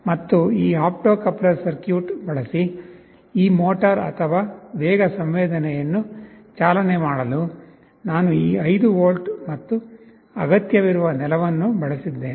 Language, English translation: Kannada, And for driving this motor or speed sensing using this opto coupler circuit, I am using this 5 volts and ground that are required